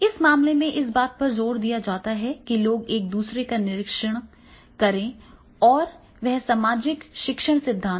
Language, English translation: Hindi, So therefore in that case these emphasize the people by observing the others and this will be the social learning theory but from the society